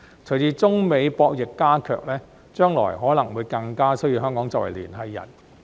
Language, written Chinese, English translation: Cantonese, 隨着中美博弈加劇，將來可能會更加需要香港作為聯繫人。, As the game between China and the United States intensifies Hong Kongs role as a liaison may become more important in the future